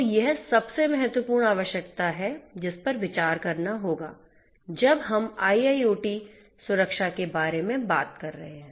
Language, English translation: Hindi, So, this is what is the most important requirement that will have to be considered, when we are talking about IIoT security